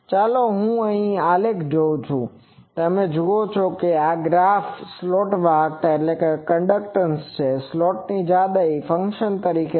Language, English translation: Gujarati, Let me see the graphs, you see this graph this is a slot conductance as a function of slot width